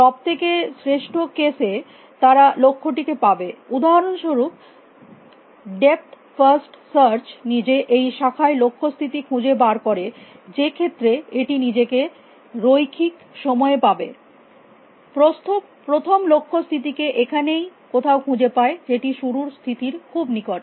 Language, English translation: Bengali, In the best case they will find the goals for example, depth first search finding the goals state in this branch itself in which case it would find it in linear time a breadth first must finds the goals state somewhere here which is very close to start state